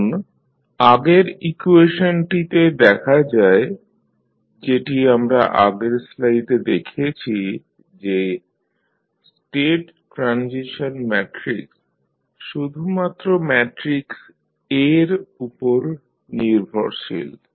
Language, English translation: Bengali, Now, view of previous equation which we have just see in the previous slide the state transition matrix is dependent only upon the matrix A